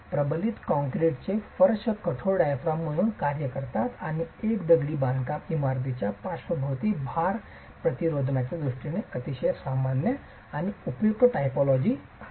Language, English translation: Marathi, The reinforced concrete floors act as rigid diaphragms and is a very common and useful typology in terms of even the lateral load resistance of a masonry building